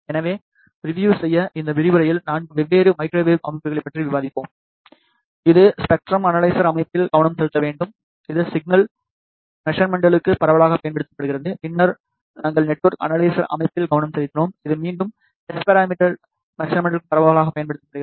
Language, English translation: Tamil, So, just to review we have discussed 4 different an important microwave systems in this lecture be focused on spectrum analyzer system, which is widely used for signal measurements, then we focused on network analyzer system, which is again widely used for S parameter measurements